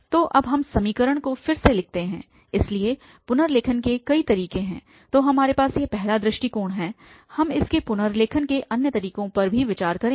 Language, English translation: Hindi, So, we rewrite the equation now so, there are several ways of rewriting so the first approach we have we will consider other way also for rewriting this one